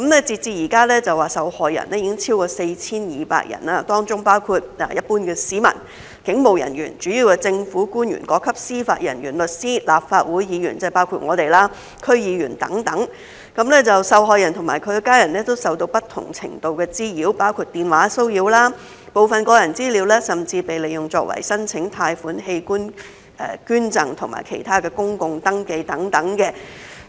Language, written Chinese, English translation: Cantonese, 截至現時，受害人已經超過 4,200 人，當中包括一般市民、警務人員、主要的政府官員、各級司法人員、律師、立法會議員——即包括我們——區議員等，受害人和其家人都受到不同程度的滋擾，包括電話騷擾、部分個人資料甚至被利用作為申請貸款、器官捐贈和其他公共登記等。, Up to now there are more than 4 200 victims including members of the public police officers major government officials judicial officers at all levels lawyers Legislative Council Members―ie . including us―District Council members etc . The victims and their family members have been harassed to varying degrees including telephone harassment and some of their personal data have even been used to apply for loans organ donations and other public registrations